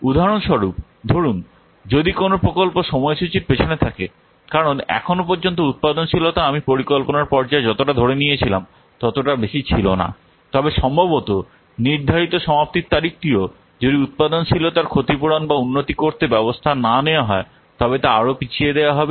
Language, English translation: Bengali, For example, suppose if a project is behind the schedule because so far productivity has not been as high as assumed at the planning stage, then it is likely that the schedule completion date also it will be pushed back even further unless action is taken to compensate for or improve the productivity